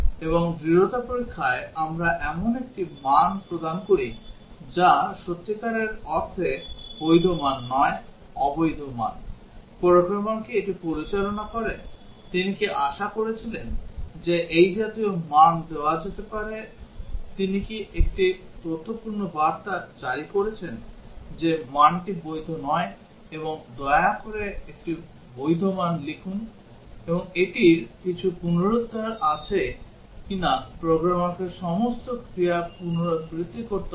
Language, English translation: Bengali, And in robustness testing, we check given a value which is not really a valid value, invalid value, does the programmer handle it, did he expect that such values can be given, did he issue an informative message that the value is not valid and please enter a valid value, and does it have some recovery or the programmer has to repeat all the actions